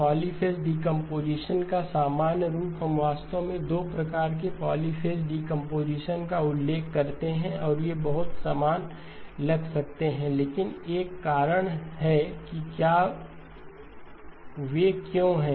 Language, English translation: Hindi, General form of polyphase decomposition, we actually refer to 2 types of polyphase decomposition and they may seem very similar, but there is a reason why they are